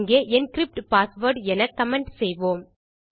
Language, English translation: Tamil, Here comment this as encrypt password